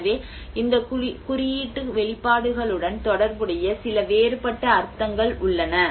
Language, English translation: Tamil, So, like that there are some different meanings associated to these symbolic expressions